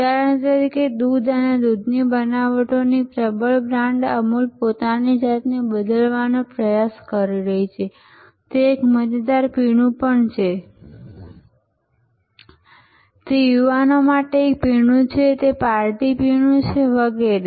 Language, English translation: Gujarati, For example, Amul the dominant brand for milk and milk products is trying to reposition itself, that it is also a fun drink, it is a drink for the young people, it is a party drink and so on